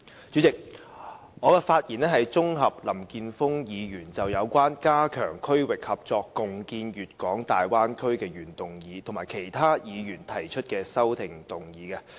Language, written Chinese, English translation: Cantonese, 主席，我綜合就林健鋒議員就有關"加強區域合作，共建粵港澳大灣區"的原議案，以及其他議員提出的修訂議案發言。, President I will speak on Mr Jeffrey LAMs motion Strengthening regional collaboration and jointly building the Guangdong - Hong Kong - Macao Bay Area and the amendments proposed by other Members